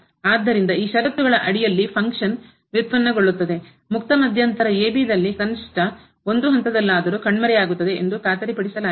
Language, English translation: Kannada, So, under those conditions it is guaranteed that the function will derivative of the function will vanish at least at one point in the open interval (a, b)